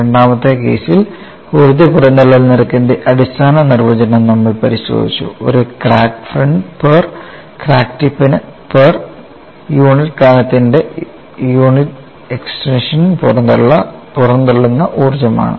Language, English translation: Malayalam, In the second case, we have looked at the basic definition of energy release rate, as the energy released per unit extension of a crack front per unit thickness per crack tip